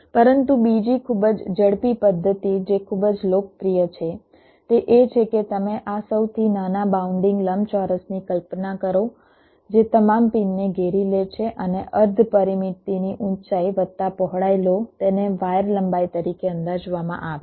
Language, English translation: Gujarati, but the other very fast method which is quite popular, is that you imagine this smallest bounding rectangle that encloses all the pins and take the semi parameter height plus width